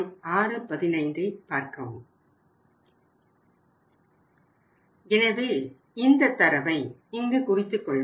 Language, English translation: Tamil, So let us note down the data